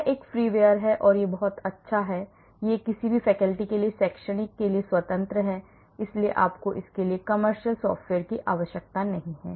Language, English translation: Hindi, this is a freeware and it is very good, and it is free for academic for faculty , so you do not need commercial software for this